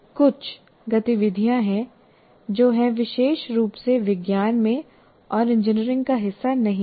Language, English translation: Hindi, There are some activities which are exclusively in science and they are not as a part of engineering